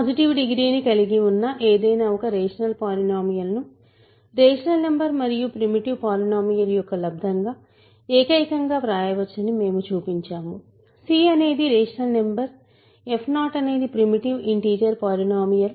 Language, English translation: Telugu, We showed that any rational polynomial which has positive degree can be written uniquely as a product of a rational number and a primitive polynomial; c is a rational number f 0 is a primitive integer polynomial